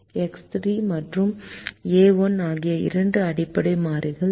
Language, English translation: Tamil, so x three and a one are the two variables with which we start the solution